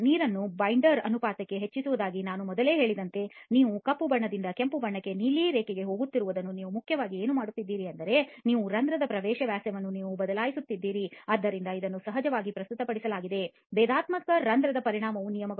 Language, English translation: Kannada, So as I said earlier when you increase the water to binder ratio, when you are going from the black to the red to the blue line what you are essentially doing is you are changing your pore entry diameter, so this is of course presented in terms of the differential pore volume